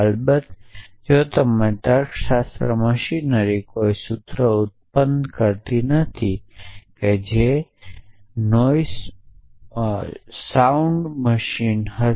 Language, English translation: Gujarati, Of course, trivially if your logic machinery does not produce any formulas that will be a sound machine